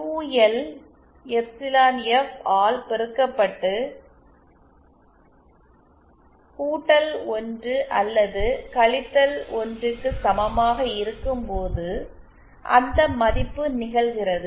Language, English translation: Tamil, And that value happens when QL multiplied by epsilon F is equal to either +1 or 1